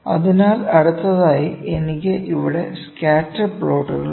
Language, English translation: Malayalam, So, next I have here is Scatter Plots